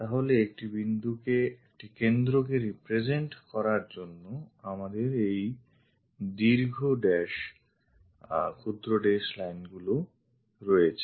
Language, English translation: Bengali, So, to represent that a center, we have this long dash short dash lines